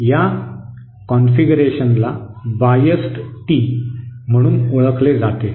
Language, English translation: Marathi, This configuration by the way is known as a biased T